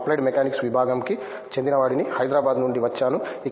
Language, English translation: Telugu, I am from Applied Mechanics Department, I am from Hyderabad